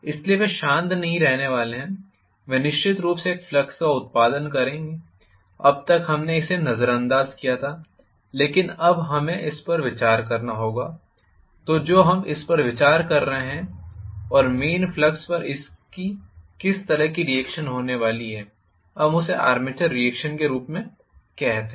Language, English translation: Hindi, So, they are not going to keep quite they will definitely produce a flux, until now we ignored it, but now we will have to consider so when we are considering that and what kind of reaction it is going to have on the main flux we call that as the armature reaction